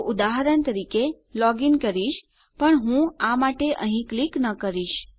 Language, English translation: Gujarati, So for example Im going to log in but Ill not click here to go